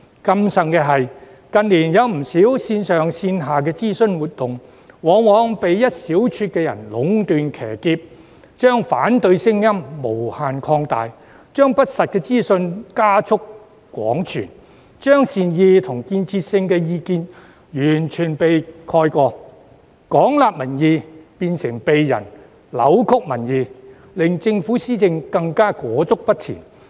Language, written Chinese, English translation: Cantonese, 更甚者，近年有不少線上線下的諮詢活動，往往被一小撮人壟斷、騎劫，將反對聲音無限擴大，將不實資訊加速廣傳，將善意及建設性意見完全蓋過，廣納民意變成扭曲民意，令政府施政更加裹足不前。, Furthermore there have been many online and offline consultations in recent years but they were usually controlled and hijacked by a small group of people who kept amplifying their opposition voices spreading widely untrue information and completely overshadowing the well - intentioned and constructive opinions . The extensively collected public views have been twisted making the Government even more stagnant in its governance